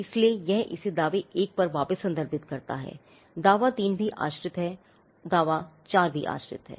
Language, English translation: Hindi, So, it refers it back to claim 1, claim 3 is again dependent, claim 4 is again dependent